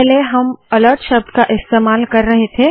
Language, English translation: Hindi, Previously we were using the word alert